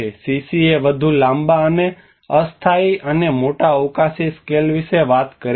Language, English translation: Gujarati, The CCA talks about the more longer and temporal and larger spatial scales